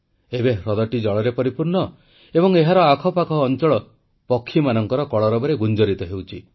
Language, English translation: Odia, The lake now is brimming with water; the surroundings wake up to the melody of the chirping of birds